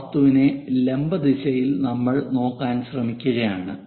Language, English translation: Malayalam, In the perpendicular direction to that object we are trying to look at